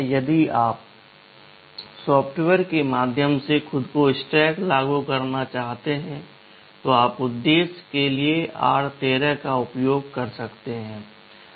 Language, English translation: Hindi, If you want to implement a stack yourself by software, you can use r13 for the purpose